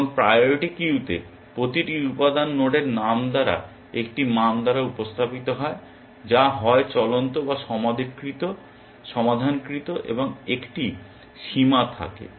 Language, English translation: Bengali, And each element in the priority queue is represented by the name of the node by a value which is either live or solved and a bound